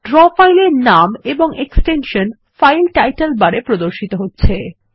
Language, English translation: Bengali, The Draw file with the file name and the extension is displayed in the Title bar